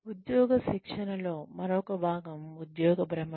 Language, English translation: Telugu, The other part of, on the job training is, job rotation